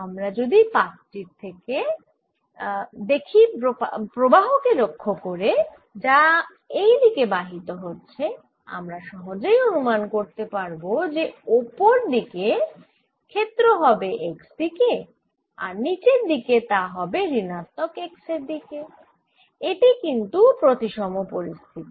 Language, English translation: Bengali, if i look at the sheet, by looking at the current which is flowing in this direction, i can already anticipate that field in the upper direction is going to be in the x direction and the lower direction is going to be minus direction